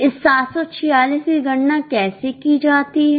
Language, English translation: Hindi, How is this 746 calculated